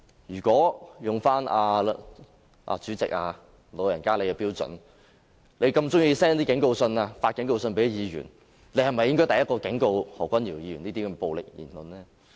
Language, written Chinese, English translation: Cantonese, 如果引用主席的標準，你這麼喜歡向議員發警告信，你是否應該第一個警告何君堯議員不要作出這些暴力言論呢？, President if I use your standard as you are so fond of issuing warning letters to Members should you not warn Dr Junius HO against making such a brutal speech in the first place?